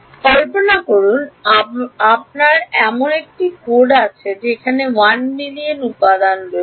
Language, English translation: Bengali, Imagine you have a code where there are 1 million elements